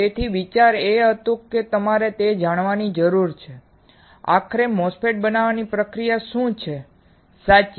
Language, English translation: Gujarati, So, the idea was that you need to learn what are the process to finally fabricate MOSFET, correct